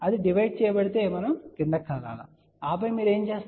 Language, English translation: Telugu, If it was minus, we have to move downward and then what you do